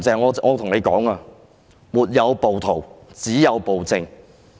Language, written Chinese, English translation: Cantonese, 我要對"林鄭"說，"沒有暴徒，只有暴政"。, I wish to tell Carrie LAM that there are no rioters; there is only tyranny